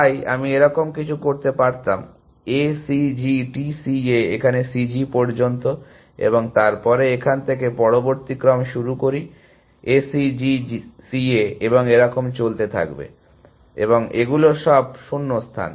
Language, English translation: Bengali, So, I could have then something like this, A C G T C A up to C G here, and then started the next sequence from here, A C G C A and so on, and these are all gaps